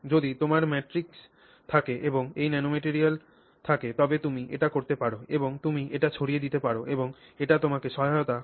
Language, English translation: Bengali, Usually if you have a matrix and you have this nanomaterial in it you can do this and you can disperse it and that helps you